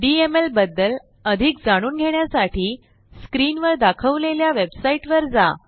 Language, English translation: Marathi, To know more about DML, visit the website shown on the screen